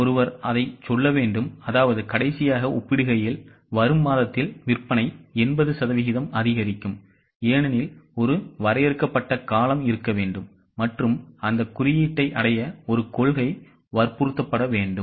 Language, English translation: Tamil, One has to say that the sales will increase by 80% in coming month in comparison to last month because there has to be a defined period of time and a policy persuaded to achieve that goal